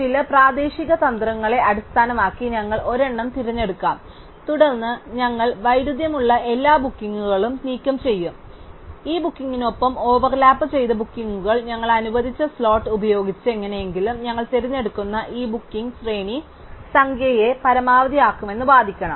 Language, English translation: Malayalam, We will pick one based on some local strategy, then we would remove all conflicting bookings, bookings that overlapped with this booking that with the slot that we just allocated and somehow we have to argue that this sequence of bookings that we are choosing maximizes the number of teachers who get to use the room